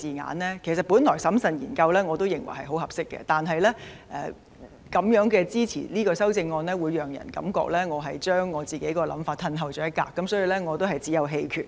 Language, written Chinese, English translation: Cantonese, 我原本認為"審慎研究"是合適的，不過支持這項修正案便會讓人覺得我自己的想法退後了一步，所以只有棄權。, Originally I considered carefully conducting studies appropriate . However if I support this amendment people may think that I have taken a step back from my own idea so I can only abstain